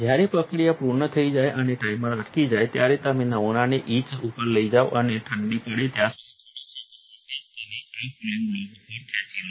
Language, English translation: Gujarati, When the process is done and the timer stops, you take the sample to the etch and pull it off onto this cooling block